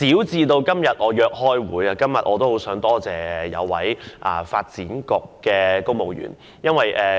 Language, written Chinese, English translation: Cantonese, 就我今天要約開會這件小事，我亦想多謝一名發展局的公務員。, Speaking of such a minor matter as making a meeting appointment today I also wish to thank a civil servant in the Development Bureau